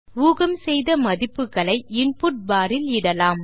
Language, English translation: Tamil, The predicted function can be input in the input bar